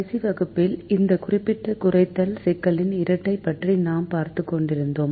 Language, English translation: Tamil, in the last class, we were looking at the dual of this particular minimization problem